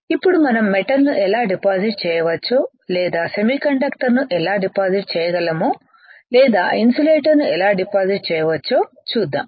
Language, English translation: Telugu, Now let us see how we can deposit metal or how we can deposit semiconductor or how we can deposit insulator alright